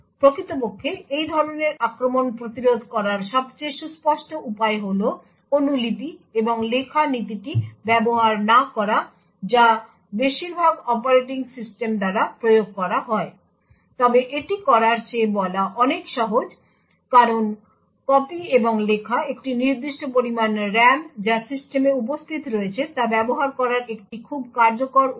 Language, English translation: Bengali, The most obvious way to actually prevent such an attack is to not to use copy and write principle which is implemented by most operating systems, however this is easier said than done because copy and write is a very efficient way to utilise the fixed amount of RAM that is present in the system